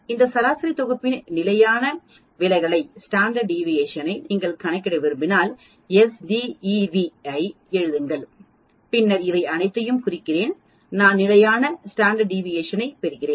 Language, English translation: Tamil, If you want to calculate standard deviation of this sample set I just write s d e v and then I mark all these I get the standard deviation